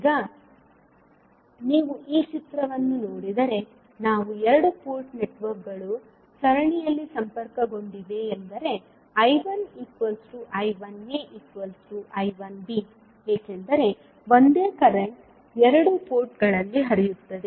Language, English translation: Kannada, Now, if you see this figure, we can simply say that since the two port networks are connected in series that means I 1 is nothing but equals to I 1a and also equal to I 1b because the same current will flow in both of the ports